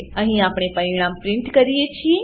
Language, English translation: Gujarati, Here we print the result